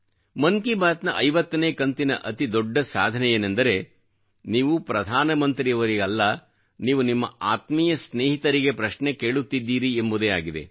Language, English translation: Kannada, I believe that the biggest achievement of the 50 episodes of Mann Ki Baat is that one feels like talking to a close acquaintance and not to the Prime Minister, and this is true democracy